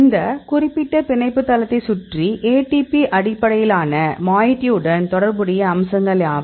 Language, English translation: Tamil, Around this particular binding site; so, what are the features corresponding to these ATP based moiety